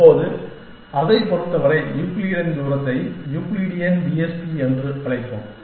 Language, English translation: Tamil, Now, in terms of that for, so Euclidean distance we will call it as Euclidean TSP